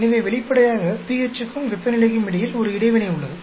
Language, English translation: Tamil, So obviously, there is an interaction between pH and temperature